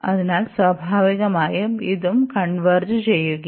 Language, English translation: Malayalam, So, naturally this will also converge